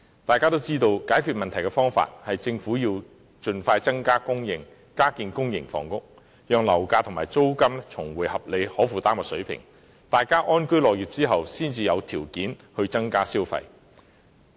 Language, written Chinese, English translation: Cantonese, 大家也知道，解決問題的方法是政府應盡快增加供應，加建公營房屋，讓樓價和租金重回合理及可負擔水平，大家安居樂業後才可以有條件增加消費。, We all know that a solution to the problem is for the Government to expeditiously increase supply by developing more public housing so that property prices and rent can return to reasonable affordable levels . Only when the people live in peace and work with contentment can they have the means to increase spending